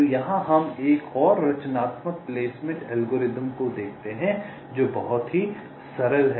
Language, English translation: Hindi, so here we look at another constructive placement algorithm which is very simple